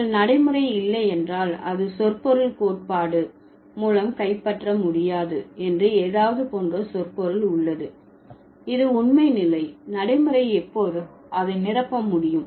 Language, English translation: Tamil, So, if you don't have pragmatics, it's the semantic, like something that could not be captured by semantic theory, which is the truth condition, pragmatics can always fill that, right